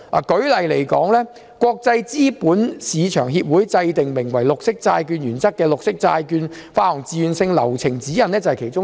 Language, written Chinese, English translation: Cantonese, 舉例來說，國際資本市場協會制訂名為《綠色債券原則》的綠色債券發行自願性流程指引，便是其中之一。, For instance one of the examples is the Green Bond Principles GBP introduced by the International Capital Market Association ICMA as voluntary process guidelines for issuing green bonds